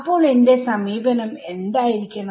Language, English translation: Malayalam, So, what should my approach be